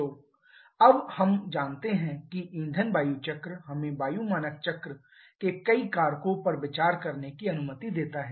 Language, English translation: Hindi, So, now we know that the fuel air cycle allows us to consider several factors over the air standard cycle